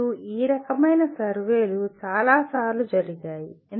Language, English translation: Telugu, And this kind of surveys have been done fairly many times